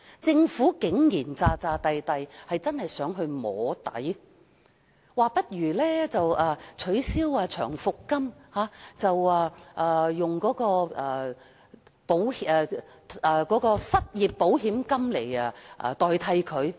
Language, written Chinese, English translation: Cantonese, 政府竟然裝模作樣，真的想"摸底"，當局說不如取消長期服務金，以失業保險金取代。, The Government actually put up a show and intended to test the waters . The authorities suggested abolishing long service payment and replacing it with unemployment insurance